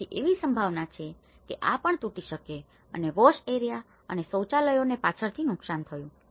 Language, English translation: Gujarati, So, there is a great possibility that this may also collapse and the wash areas has been damaged behind and the toilets